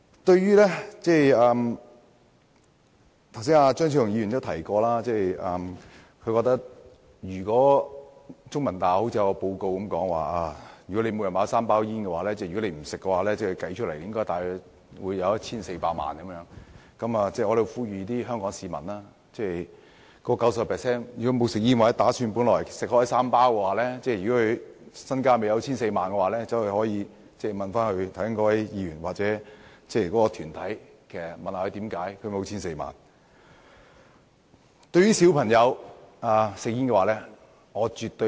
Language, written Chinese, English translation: Cantonese, 對於張超雄議員剛才提到中文大學的調查報告，指每天吸3包煙者，如果不吸煙，計算起來便會多了 1,400 萬元資產，我在這裏呼籲 90% 不吸煙或本來每天吸3包煙而未有 1,400 萬元的香港市民，可以向該位議員或團體查詢一下，為何沒有 1,400 萬元。, We are proposing three different amendments . Dr Fernando CHEUNG mentioned a survey report by The Chinese University of Hong Kong which stated that smokers who smoke three packs of cigarettes daily might have cumulated 14 million if they did not smoke . I urge the 90 % of Hong Kong people who do not smoke or who used to smoke three packs of cigarettes daily but have not yet had 14 million amassed to make inquiries with that Member or that organization about why they have yet to amass 14 million